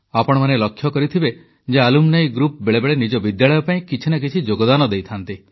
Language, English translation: Odia, You must have seen alumni groups at times, contributing something or the other to their schools